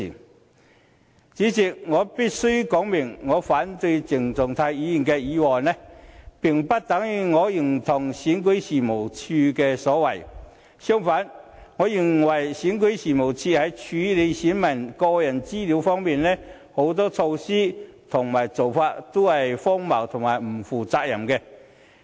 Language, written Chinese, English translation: Cantonese, 代理主席，我必須說明我反對鄭松泰議員的議案，並不等於我認同選舉事務處的所為；相反，我認為選舉事務處在處理選民個人資料方面，有很多措施和做法都是荒謬和不負責任的。, Deputy President I must clarify that by rejecting Dr CHENG Chung - tais motion I do not mean to approve of the acts of REO . On the contrary I consider that many measures and practices of REO relating to electors personal data are absurd and irresponsible